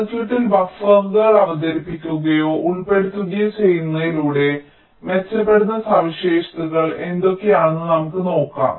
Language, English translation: Malayalam, lets see what are the characteristics that get improved by introducing or inserting buffers in the circuit